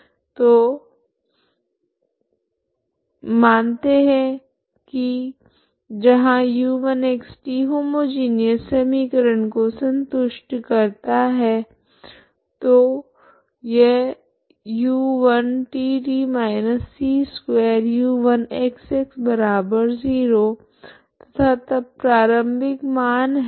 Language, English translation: Hindi, So let u( x ,t)=u1( x ,t )+u2( x ,t ), where u1( x ,t ) satisfies the homogeneous equation, so that is u1tt−c2u1xx=0 and then initial values